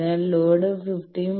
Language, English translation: Malayalam, So, the load is 15